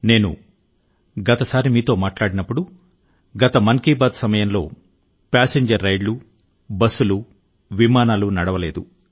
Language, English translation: Telugu, The last time I spoke to you through 'Mann Ki Baat' , passenger train services, busses and flights had come to a standstill